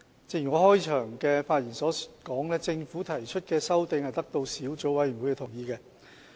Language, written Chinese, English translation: Cantonese, 正如我在開場發言時所指，政府提出的修訂是得到小組委員會的同意。, As I said in my opening remarks the amendments proposed by the Government have the endorsement of the Subcommittee